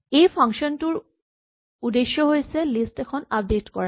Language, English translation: Assamese, The aim of this function is to update a list